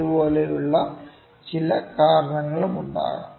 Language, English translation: Malayalam, There might be certain reasons like this